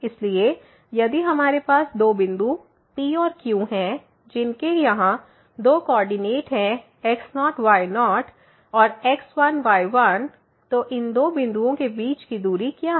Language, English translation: Hindi, So, if we have two points P and Q having two coordinates here and ; then, what is the distance between these two points